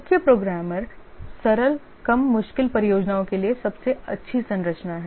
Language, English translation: Hindi, The chief programmer is the best structure for simple low difficulty projects